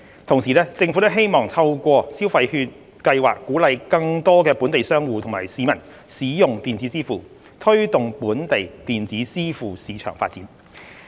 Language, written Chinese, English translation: Cantonese, 同時，政府亦希望透過消費券計劃鼓勵更多本地商戶及市民使用電子支付，推動本地電子支付市場發展。, At the same time the Government also wants to encourage more local merchants and the public to use electronic payment through the Scheme so as to foster the development of the local electronic payment market